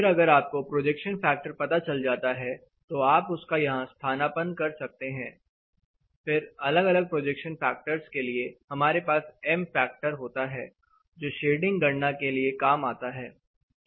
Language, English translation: Hindi, Then if you know the projection factor, you can substitute it here; for different projection factors, you have something called M factor or you know which is needed for the shading calculation